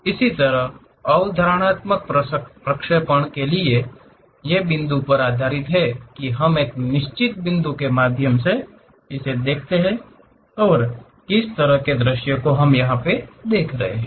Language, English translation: Hindi, Similarly in the perceptive projections, these are based on point; we look through certain point and what kind of views we will see